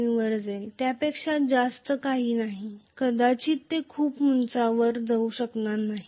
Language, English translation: Marathi, 3, nothing more than that, it may not be able to go very high